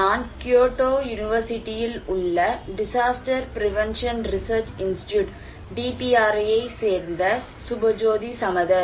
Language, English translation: Tamil, I am Subhajyoti Samaddar from the DPRI Disaster Prevention Research Institute, Kyoto University, Japan